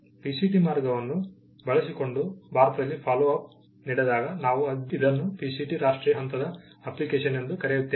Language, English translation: Kannada, When the follow up happens in India using the PCT route, we call it a PCT national phase application